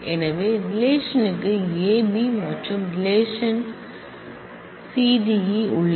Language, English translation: Tamil, So, relation r has A B and relation s has C D E